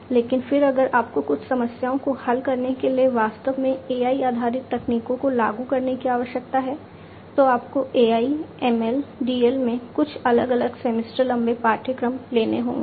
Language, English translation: Hindi, But, then if you need to actually implement AI based techniques to solve certain problems, you have to take separate semester long courses in AI, ML, DL, etcetera